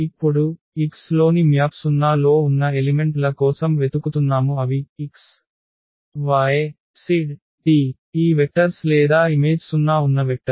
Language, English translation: Telugu, Now, we are looking for the elements in x whose map is 0 in y, so that means, we are looking for these elements x, y, z t I mean these vectors or such vectors whose image is 0